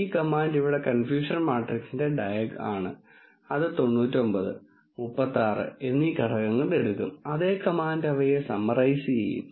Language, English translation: Malayalam, This command here diag of confusion matrix take this element 99 and 36 and the some command will sum them up